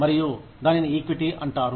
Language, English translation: Telugu, And, that is called, equity